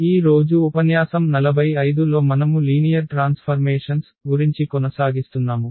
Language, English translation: Telugu, And this is lecture number 45 and we will be talking about or continue our discussion on Linear Transformations